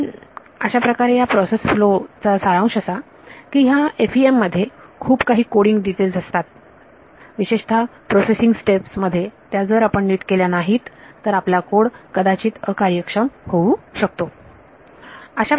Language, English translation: Marathi, So, this sort of summarizes the process flow these the FEM has a lot of coding details that are there particularly in the pre processing step if you do not do it right your code can be very inefficient